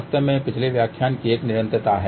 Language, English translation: Hindi, In fact, it is a continuation of the previous lecture